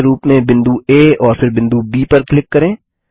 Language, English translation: Hindi, Click on the point A as centre and then on point B